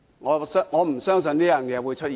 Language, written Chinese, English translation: Cantonese, 我不相信會出現這種情況。, I do not believe this situation will happen